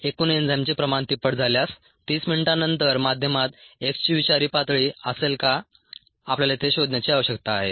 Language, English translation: Marathi, and part b: if the total enzyme concentration is tripled, will the medium contain toxic levels of x after thirty minutes